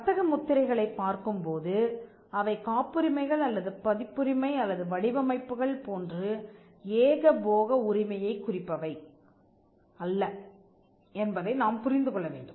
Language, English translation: Tamil, When we look at trademarks, we also need to understand that trademarks are not a monopoly, in the sense that patents or copyright or designs are